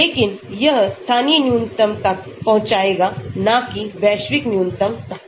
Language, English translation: Hindi, But that could leading to local minimum rather than global minimum